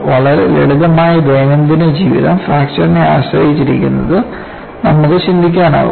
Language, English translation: Malayalam, Can you think of very simple day to day living depends on fracture